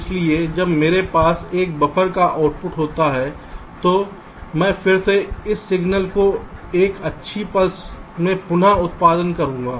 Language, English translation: Hindi, so instead of a neat pulse, so when i have a buffer, the output of a buffer i will again regenerate this signal into a nice pulse